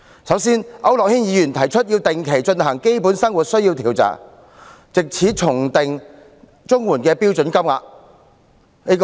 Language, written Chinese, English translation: Cantonese, 首先，區諾軒議員提出定期進行基本生活需要研究，藉此重訂綜援的標準金額。, First Mr AU Nok - hin proposed conducting a study on basic and essential needs on a regular basis so as to re - determine the standard rates of CSSA